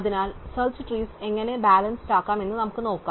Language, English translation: Malayalam, So, let us see how we can keep search tress balanced